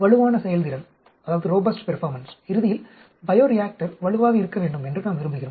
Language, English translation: Tamil, Achieve robust performance, ultimately we want the, say, bioreactor to be robust